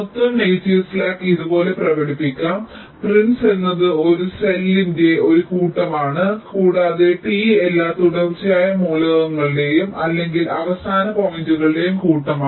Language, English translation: Malayalam, total negative hm slack can be expressed like this: p i n s tau is a set of pins of a cell tau and t is the set of all sequential elements or endpoints